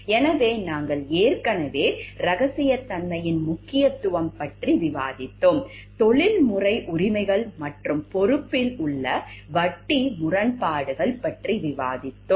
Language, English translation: Tamil, So, we have already discussed about importance of confidentiality, we have discussed about the conflict of interest issues in the professional rights and responsibility discussion